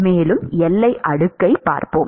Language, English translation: Tamil, And we will look at boundary layer